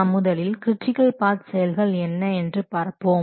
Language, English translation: Tamil, We'll first see about critical path activities